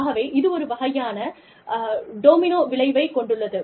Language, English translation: Tamil, So, that sort of, has a domino effect